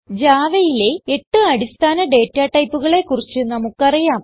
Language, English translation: Malayalam, We know about the 8 primitive data types in Java